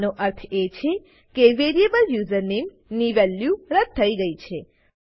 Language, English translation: Gujarati, This means that the value of variable username has been removed